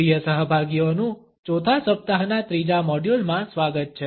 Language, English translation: Gujarati, Welcome dear participants to the 3rd Module of the fourth week